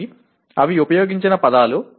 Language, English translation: Telugu, So those are the words used